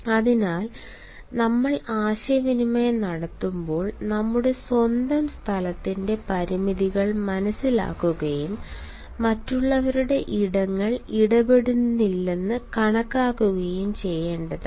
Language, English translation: Malayalam, hence it is advisable that while we are communicating, we ought to understand the limitations of our own space and also consider that others spaces are not interfered with